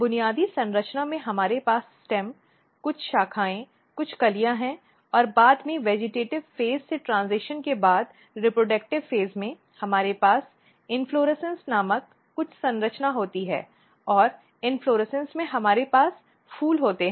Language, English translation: Hindi, But if you look the basic structures so in basic structure we have stem, some branches, some buds then later on after transition from vegetative phase to reproductive phase, we have some structure called inflorescence and in inflorescence we have flowers so, these are the shoot systems part